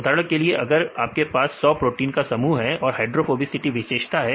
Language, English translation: Hindi, For example, if you have a group of 100 proteins right and see the hydrophobicity your feature